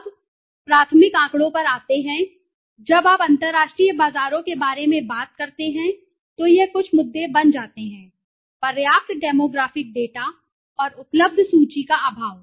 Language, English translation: Hindi, Now, coming to the primary data, when you talk about the international markets, this becomes some of the issues, sampling lack of adequate demographic data and available list